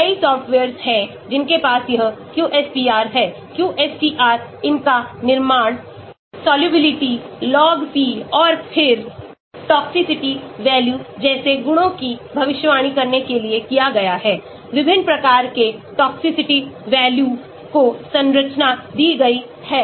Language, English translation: Hindi, there are many softwares which has this QSPR, QSTR in built in them for predicting properties like solubility, log P and then toxicity values, different types of toxicity values given the structure